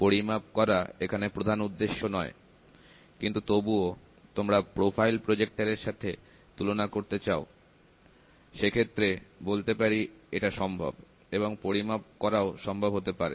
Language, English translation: Bengali, Measurements are not the predominant here, but still, if you want to do using this optical projector if you want to do profile projector you want to do a comparison it is possible and measurement is also possible